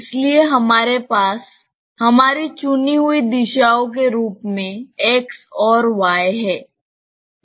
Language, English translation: Hindi, So, we have x and y as our chosen directions